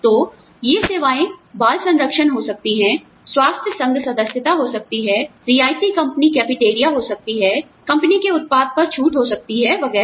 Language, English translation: Hindi, So, these services, could be childcare, could be health club memberships, could be subsidized company cafeterias, could be discounts on company products, etcetera